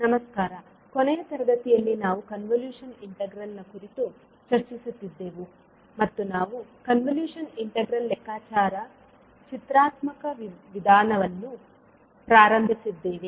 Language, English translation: Kannada, Namashkar, so in the last class we were discussing about the convolution integral, and we started with the graphical approach of calculation of the convolution integral